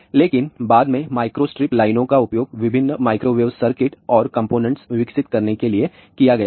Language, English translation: Hindi, But later on microstrip lines have been used for developing various microwave circuits and component